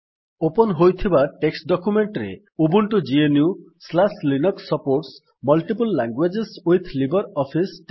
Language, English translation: Odia, In the opened text document, lets type, Ubuntu GNU/Linux supports multiple languages with LibreOffice